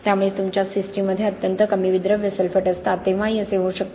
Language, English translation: Marathi, So it can also happen when your system has very low soluble sulphates, okay